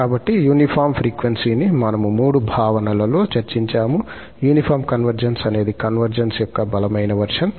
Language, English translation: Telugu, So, the uniform converges in the three notions what we have discussed, the uniform convergence is the stronger version of the convergence